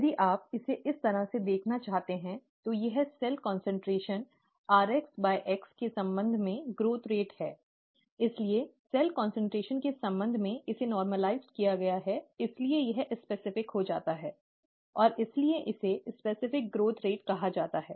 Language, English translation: Hindi, It is all it is growth rate with respect to cell concentration ‘rx by x’, if you want to look at it that way; therefore that has been normalized with respect to cell concentration; therefore it becomes specific, and therefore, it is called specific growth rate